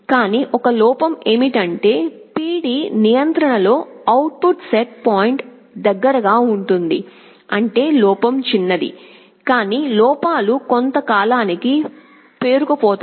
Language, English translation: Telugu, But one drawback is that that in the PD control the output becomes close to the set point; that means, the error is small, but errors tend to accumulate over a period of time